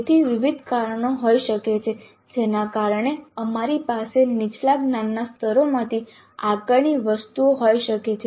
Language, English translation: Gujarati, So there could be a variety of reasons because of which we may have assessment items from lower cognitive levels